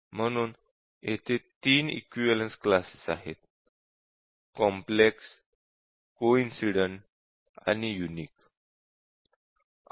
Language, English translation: Marathi, So, there are 3 equivalence classes here complex, coincident and unique